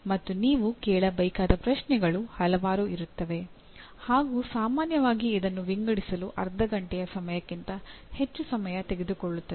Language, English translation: Kannada, And whole bunch of questions you have to ask and generally that takes lot more time than half an hour to sort out